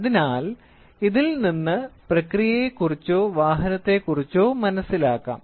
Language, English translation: Malayalam, So, this will try to talk about the process or the automobile